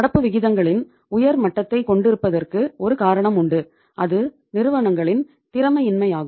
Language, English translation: Tamil, One reason was of having the high level of current ratios was the inefficiency of the firms